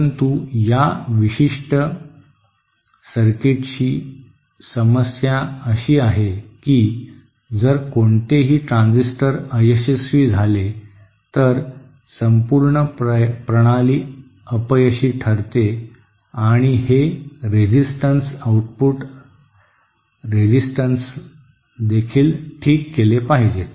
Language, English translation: Marathi, so but the problem with this particular circuit is that, if any of the transistors fail, then the whole system fails and also these resistances, the output resistances have to be fine tuned